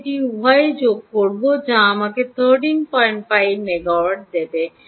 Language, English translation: Bengali, i add both of it will give me thirteen point five miliwatts